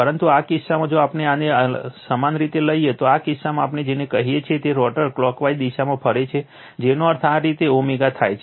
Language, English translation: Gujarati, But, in this case if we take in this your, what we call in this case rotor rotating in the clockwise direction that means, this way omega right